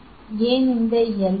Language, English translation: Tamil, Why this L